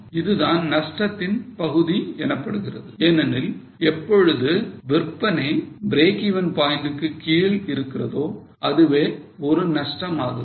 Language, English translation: Tamil, This is known as a loss area because when sales are below the break even point then it is a loss